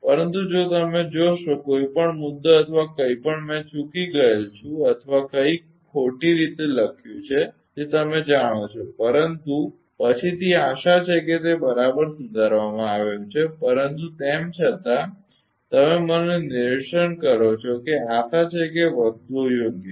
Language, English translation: Gujarati, But if you see that any point or anything I have missed or something written ah you know incorrectly, but later hopefully it has been corrected right, but still you point out to me hopefully things are ok hopefully things are ok right